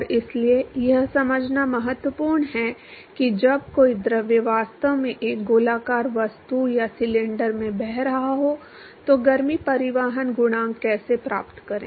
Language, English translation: Hindi, And so, it is important to understand how to find heat transport coefficient when a fluid is actually flowing past a circular object or a cylinder